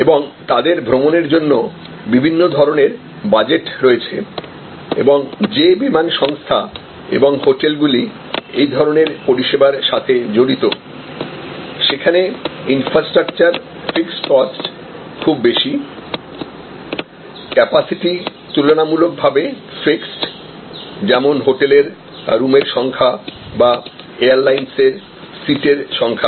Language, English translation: Bengali, And also have different kinds of budgets for their travel and airlines or hotels involved in this paradigm are services, where there is a big infrastructure fixed cost, relatively fixed capacity like number of rooms or number of seats on the airlines